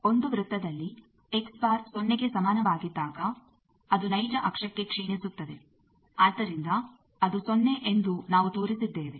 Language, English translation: Kannada, In a circle for X bar is equal to 0 that degenerates to a real axis of the thing, so we have shown that it is the 0